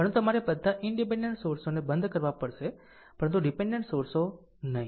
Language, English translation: Gujarati, But you have to turn off all independent sources, but not the dependent sources right